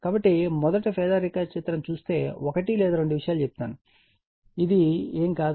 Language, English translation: Telugu, So, if you see the phasor diagram first one or two things let me tell you, this is nothing, this is nothing